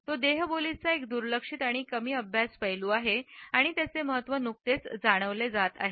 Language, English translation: Marathi, It is a much neglected and less studied aspect of body language and its significance is being felt only recently